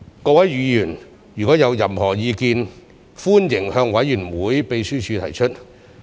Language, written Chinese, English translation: Cantonese, 各位議員如有任何意見，歡迎向委員會秘書提出。, Members are welcome to offer us their views and suggestions through the Committee Secretariat